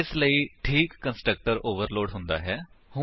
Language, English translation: Punjabi, So, the proper constructor is overloaded